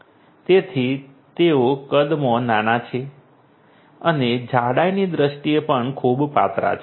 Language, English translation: Gujarati, So, they are small in size and also in very thin in terms of thickness